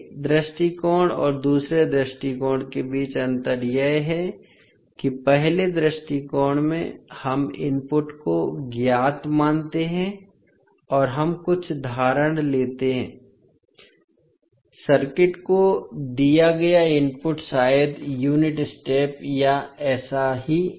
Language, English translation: Hindi, So, the difference between first approach and second approach is that – in first approach we assume input as known and we take some assumption that the input given to the circuit is maybe unit step or something like that